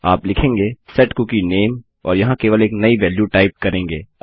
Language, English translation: Hindi, Youll say set cookie name and here just type a new value So its not hard to work with cookies